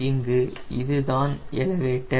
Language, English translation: Tamil, in this case this is elevator